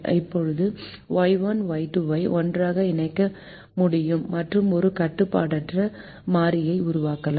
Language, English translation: Tamil, now y one minus y two can be bunched together and can be made as an unrestricted variable